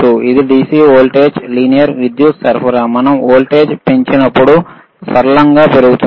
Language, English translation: Telugu, DC iIt is a DC voltage linear power supply, linearly increases when we increase the voltage